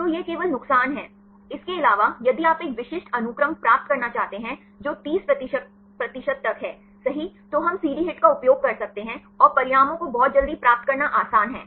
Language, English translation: Hindi, So, that is only disadvantage, other than that, if you want to get a specific sequence cut off up to 30 percent right we can use CD HIT and it is easy to use to get the results very quickly